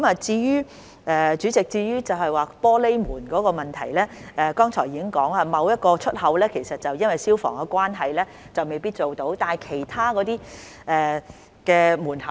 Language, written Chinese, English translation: Cantonese, 主席，至於玻璃門的問題，我剛才已提到，某一個出口因消防緣故而未必可以安裝玻璃門。, President regarding the provision of glass doors as I mentioned just now glass doors may not be installed at a certain exit due to fire safety consideration